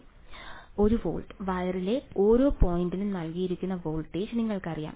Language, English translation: Malayalam, 1 volt you know the voltage that is given in that every point on the wire